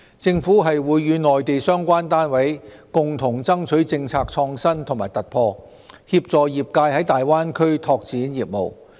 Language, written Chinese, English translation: Cantonese, 政府會與內地相關單位共同爭取政策創新和突破，協助業界在大灣區拓展業務。, The Government will strive for policy innovation and breakthroughs jointly with the relevant Mainland authorities to assist the industries in developing business in the Greater Bay Area